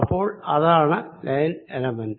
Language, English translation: Malayalam, so that is this line element